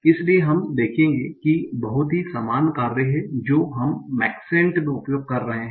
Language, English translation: Hindi, So you see they are very similar sort of functions that we are using in Maxent